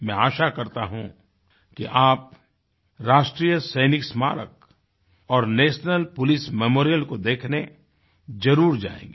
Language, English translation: Hindi, I do hope that you will pay a visit to the National Soldiers' Memorial and the National Police Memorial